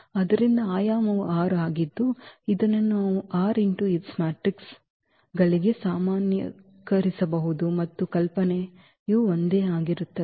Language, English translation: Kannada, So, the dimension is 6 which we can generalize for r by s matrices also the idea is same